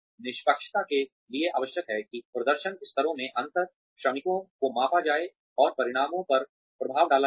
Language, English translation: Hindi, Fairness requires that, differences in performance levels, across workers be measured, and have an effect on outcomes